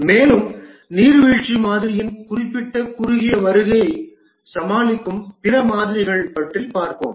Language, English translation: Tamil, And then we'll discuss about other models which overcome specific shortcomings of the waterfall model